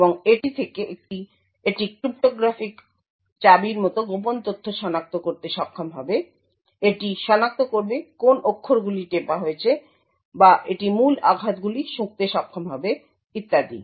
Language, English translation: Bengali, And from this it would be able to identify secret information like cryptographic keys, it would identify what characters have been pressed, or it would be able to sniff keystrokes and so on